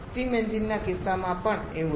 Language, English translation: Gujarati, Same in case of a steam engines also